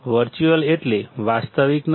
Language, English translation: Gujarati, Virtual means not real